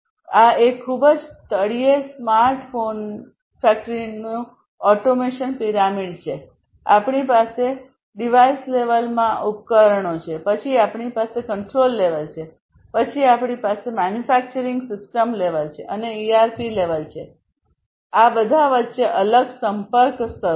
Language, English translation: Gujarati, So, this is the automation pyramid of a smart factory at the very bottom, we have the devices this is the device level, then we have the control level, then we have the manufacturing system level, and the ERP level in between we have all these different communication layers